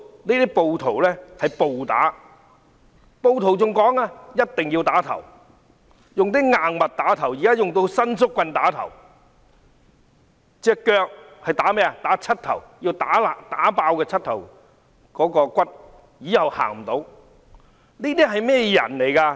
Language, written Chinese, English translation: Cantonese, 那些暴徒還說一定要用硬物打頭，現在還會用伸縮棍打，至於腳部則要打膝蓋，要打碎膝蓋骨，這樣以後便走不到路。, The rioters even say that they should hit people in the head using hard objects . They even use an extendable baton . And if they target at peoples legs they would smash their kneecaps so that they cannot walk anymore